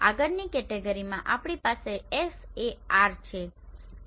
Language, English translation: Gujarati, In the next category we have SAR right